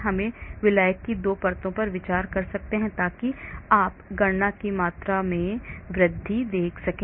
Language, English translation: Hindi, I can consider 2 layers of solvent so as you can see the amount of calculations increase